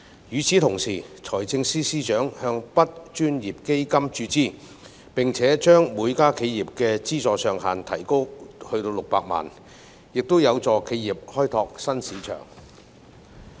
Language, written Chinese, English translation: Cantonese, 與此同時，財政司司長向 BUD 專項基金注資，並且將每家企業的資助上限提高至600萬元，亦有助企業開拓新市場。, At the same time FS will make injection into the Dedicated Fund on Branding Upgrading and Domestic Sales BUD Fund and raise the funding ceiling for each enterprise to 6 million which will also assist enterprises in opening up new markets